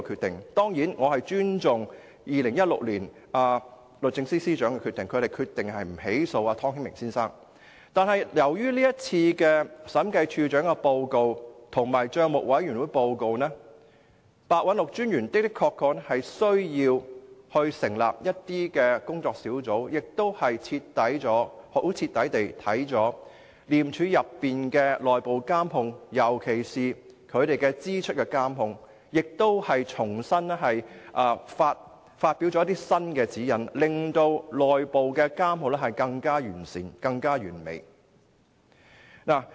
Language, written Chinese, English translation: Cantonese, 當然，我尊重律政司司長在2016年的決定，不起訴湯顯明先生，但由於該份審計署署長報告和帳委會的報告，廉政專員白韞六的確需要成立一些工作小組，徹底檢視廉署的內部監控，尤其是對支出的監控，並重新發出指引，令內部監控更完善和完美。, I certainly respect the decision of the Secretary for Justice in 2016 on not prosecuting Mr Timothy TONG . But given the Director of Audits report and also the PAC report it is honestly necessary for ICAC Commissioner Simon PEH to set up certain working groups to thoroughly review the internal control of ICAC and issue new guidelines so as to improve and perfect its internal control